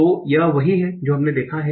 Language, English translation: Hindi, So, that's what we will see